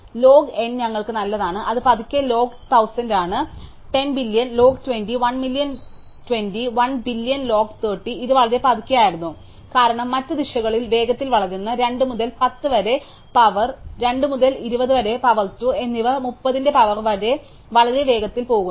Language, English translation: Malayalam, So, that is why log n is nice for us, it is slow log of 1000 is 10, log of 1 billion is 20, 1 million is 20, log of 1 billion is 30 it was very slowly, because in other directions growing fast 2 to the power 10, 2 to the power of 20, 2 to the power of 30 goes very fast